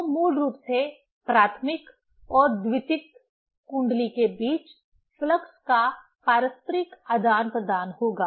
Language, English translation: Hindi, So, basically between primary and secondary coil, there will be mutual exchange of flux